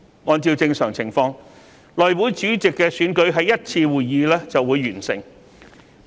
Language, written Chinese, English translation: Cantonese, 按照正常情況，內會主席選舉在1次會議便會完成。, Under normal circumstances the Chairman of the House Committee would be elected in one meeting